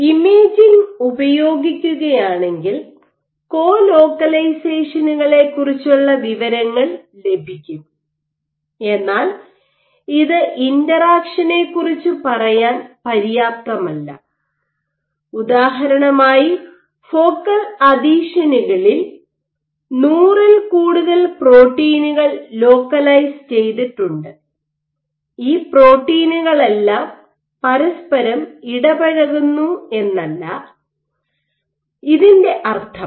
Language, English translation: Malayalam, If you use imaging all you would get information about co localization, but this is not enough to say and we interact because we know for example, at focal adhesions you have greater than 100 proteins which localized